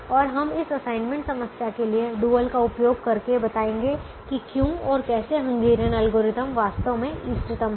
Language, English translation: Hindi, so we have now written the dual of the assignment problem and we will use this dual of the assignment problem to explain why and how the hungarian algorithm is actually optimum